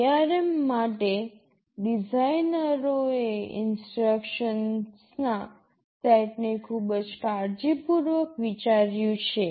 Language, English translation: Gujarati, The designers for ARM have very carefully thought out these set of instructions